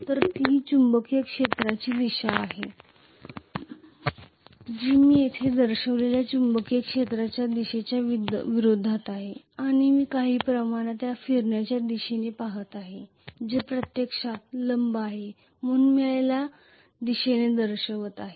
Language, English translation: Marathi, So this is the magnetic field direction which is opposite of the magnetic field direction I have shown here and I am going to look at the direction of rotation somewhat like this, so which is actually perpendicular so I am showing this as the direction of the rotation